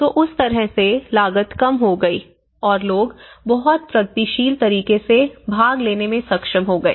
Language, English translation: Hindi, So, in that way, it has come, the cost has come down and people were able to participate in much progressive way